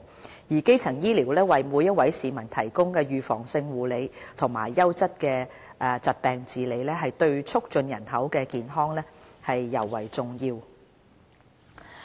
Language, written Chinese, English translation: Cantonese, 由於基層醫療為每一位市民提供預防性護理和優質的疾病治理，對促進人口健康尤為重要。, Primary health care provides preventive care as well as quality management of diseases to everyone which is important for promoting health of the population